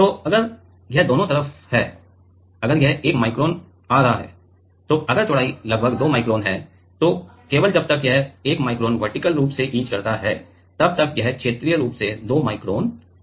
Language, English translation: Hindi, So, if it is both side if it is coming 1 micron then if the width is about 2 micron, then only by the time it etches 1 micron vertically it will etch 2 micron horizontally